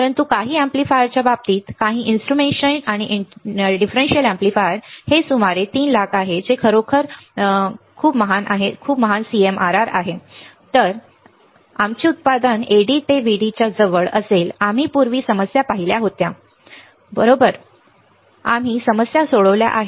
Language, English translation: Marathi, But in case of in case of some of the amplifiers, some of the instrumentation and difference amplifier this is about 300000 that is really great CMRR high our output will be close to AD in to VD we have seen the problems earlier, when we were looking at CMRR right we have solved the problems